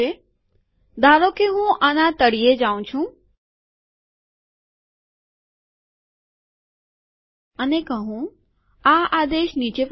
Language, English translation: Gujarati, Suppose I go to the bottom of this, and say, the command is as follows